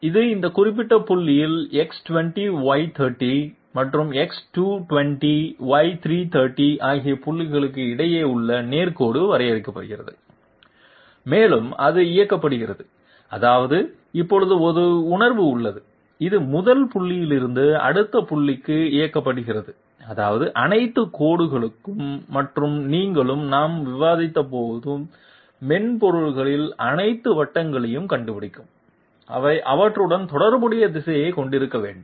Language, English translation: Tamil, This means that the straight line is being defined which is line between these particular points X20Y30 and X220Y330 and it is directed that means it has a sense now, it is directed from the first point to the next point, which means all lines and you will find all circles also in a the software that we are going to discuss, they are supposed to have a direction associated with them